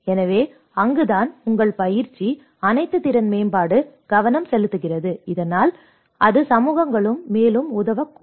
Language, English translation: Tamil, So, that is where your training, all the capacity building will focus so that it can actually help the communities further